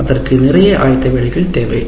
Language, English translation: Tamil, And that is where it requires a lot of preparatory work